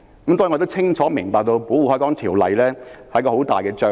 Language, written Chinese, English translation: Cantonese, 當然，我清楚明白《保護海港條例》是很大的障礙。, Certainly I understand that the Protection of the Harbour Ordinance is a big obstacle